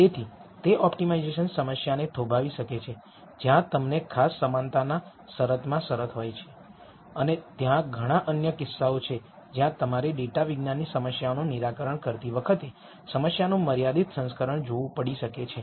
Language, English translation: Gujarati, So, that could pose an optimization problem where you have constraints in particular equality constraints and there are several other cases where you might have to look at the constrained version of the problem while one solves data science problems